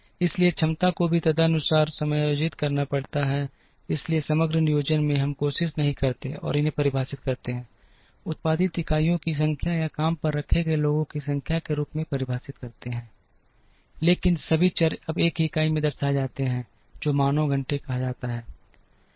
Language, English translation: Hindi, Therefore, the capacity also has to be adjusted accordingly, so in aggregate planning, we do not and try and define these as number of units produced or number of people hired, but all the variables are now represented in a single unit, which is called man hours